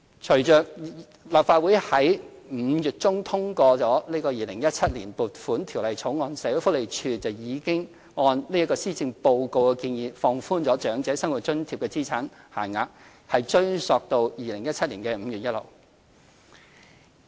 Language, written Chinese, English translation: Cantonese, 隨着立法會於5月中通過《2017年撥款條例草案》，社會福利署已按施政報告的建議，放寬長者生活津貼的資產限額，並追溯至2017年5月1日。, With the passage of the Appropriation Bill 2017 in mid - May the Social Welfare Department SWD has already relaxed the asset limits for OALA with retrospective effect from 1 May 2017 as proposed in Policy Address 2017